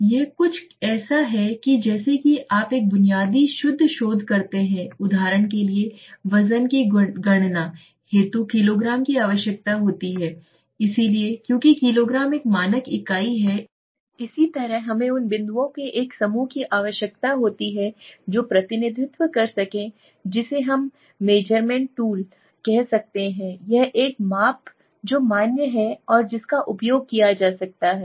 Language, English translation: Hindi, Now this is something similar to what do you do in a basic pure research, to calculate weight you need kg, so kg is one standard unit, similarly we need a set of points that can anchor the measurement tool or that can validate the tool and say well this is something that can be used repeatedly again and again, so this is the validated so it has been validated basically